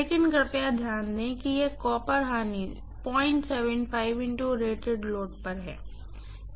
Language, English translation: Hindi, But, please note this copper loss is at 0